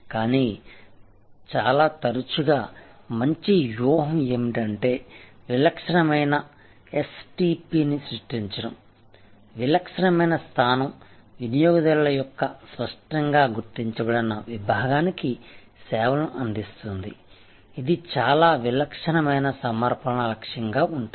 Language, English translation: Telugu, But, most often good strategy is to create a distinctive STP, a distinctive position serving a distinctly identified segment of customers with a very distinctive set of offerings as a target